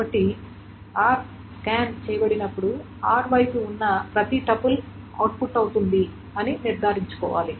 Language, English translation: Telugu, So when r is being scanned, it is made sure that everything on the R side is being output